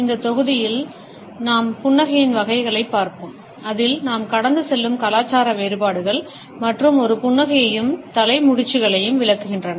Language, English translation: Tamil, In this module we would look at the types of a smiles, the cultural differences in which we pass on and interpret a smiles as well as the head nods